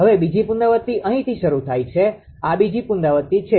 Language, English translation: Gujarati, Now, now second iteration starts here this is second iteration